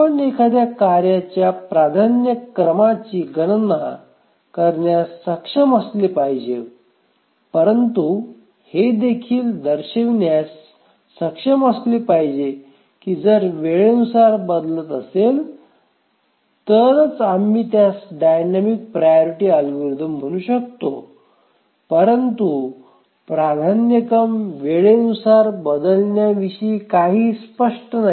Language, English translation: Marathi, So, not only we should be able to calculate the priority of a task, but also we should change the, we should show that it changes with time, then only we can call it as a dynamic priority algorithm